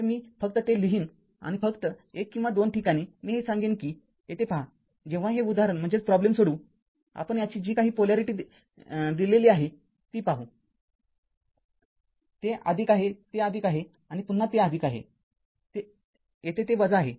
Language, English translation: Marathi, So, I will simply write it and one only 1 or 2 place I will tell you look at this when you solve this problem, you will see that the polarity of this whatever it is given, it is minus this is plus and again here it is plus here it is minus